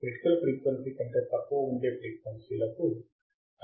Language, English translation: Telugu, Frequency which is above my critical frequency is allowed to pass